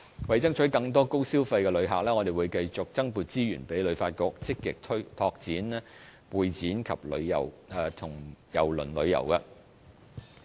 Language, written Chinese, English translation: Cantonese, 為爭取更多高消費的旅客，我們亦會增撥資源給旅發局，積極拓展會展及郵輪旅遊。, In order to attract more high - spending tourists to Hong Kong we will also allocate more resources for HKTB to actively develop Meetings Incentives Conventions and Exhibitions as well as cruise tourism